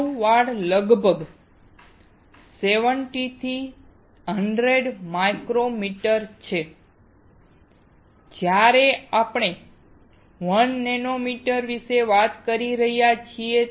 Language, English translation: Gujarati, A human hair is about 70 to 100 micrometers, while we are talking about about 1 nanometer